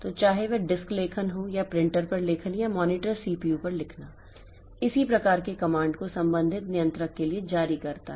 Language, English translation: Hindi, So, whether it is a disk write or a writing onto the printer or writing onto the monitor, CPU issues similar type of command to the corresponding controller